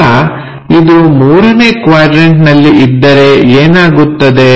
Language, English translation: Kannada, Now, if it is in the 3rd quadrant, what will happen